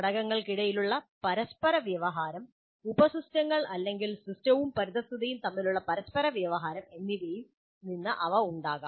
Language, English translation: Malayalam, They can arise either from interactions among the components systems themselves, subsystems themselves, or the interactions between the system and the environment